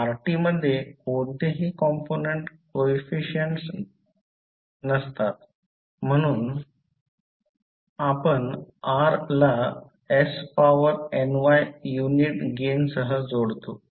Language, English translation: Marathi, So, rt does not have any component coefficient there so you will connect r with s to the power ny with only unit gain